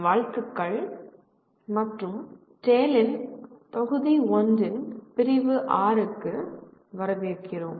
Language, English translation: Tamil, Greetings and welcome to the Unit 6 of Module 1 of course TALE